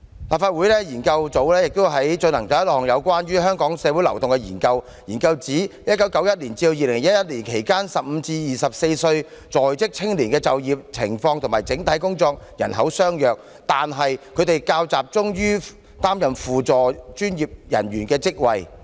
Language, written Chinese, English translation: Cantonese, 立法會資料研究組亦曾進行一項有關香港的社會流動的研究，研究指"在1991至2011年期間 ，15 至24歲在職青年的就業情況與整體工作人口相若，但他們較集中於擔任輔助專業人員的職位。, The Research Office of the Legislative Council once researched into the social mobility in Hong Kong . According to this research Employed youths aged 15 - 24 exhibited a broadly similar job picture during 1991 - 2011 albeit being more concentrated in associate professional jobs